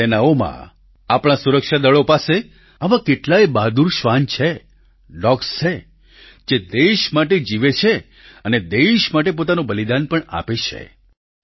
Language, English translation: Gujarati, Our armed forces and security forces have many such brave dogs who not only live for the country but also sacrifice themselves for the country